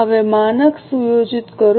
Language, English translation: Gujarati, Now, setting the standard